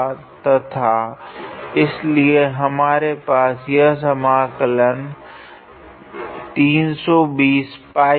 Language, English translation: Hindi, Now we have to evaluate this integral